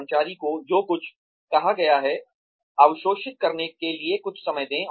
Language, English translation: Hindi, Give the employee, some time to absorb, what has been said